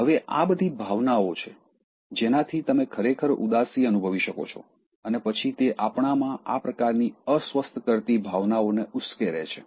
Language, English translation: Gujarati, Now, these are all emotions, which can actually make you feel sad and then they stir up such kind of uncomfortable emotions in us